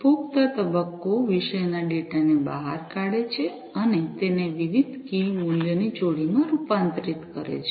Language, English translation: Gujarati, The consumer phase extracts the topic data and converts them into different key value pairs